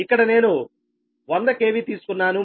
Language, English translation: Telugu, i have taken here hundred k v